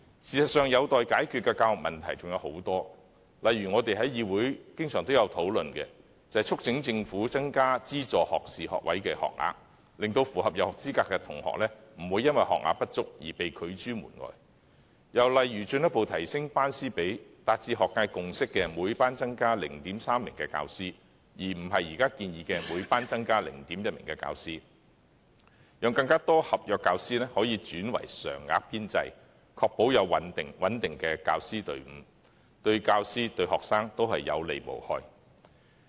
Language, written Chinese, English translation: Cantonese, 事實上，有待解決的教育問題尚有很多，例如我們在議會經常也有討論的，就是促請政府增加資助學士學位學額，令符合入學資格的學生不會因學額不足而被拒諸門外；又例如進一步提升班師比例，達至學界共識的每班增加 0.3 名教師，而不是現時建議的每班增加 0.1 名教師，讓更多合約教師可以轉為常額編制，確保有穩定的教師團隊，這對教師、對學生同樣有利無害。, For example as often discussed in the Council we have been urging the Government to increase publicly - funded undergraduate places so that students who meet admission requirements will not be turned away due to the shortage of places . Another example is that the teacher - to - class ratio should be further increased by 0.3 teacher per class as agreed by the academic community instead of an additional 0.1 teacher per class as currently proposed so that more contract teachers can be converted to the permanent establishment to ensure a stable teaching team . It will benefit teachers and students alike in every sense